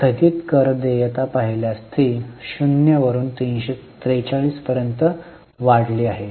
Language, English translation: Marathi, If you look at the deferred tax liability, it has increased from 0 to 343